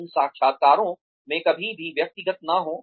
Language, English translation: Hindi, Do not ever get personal in these interviews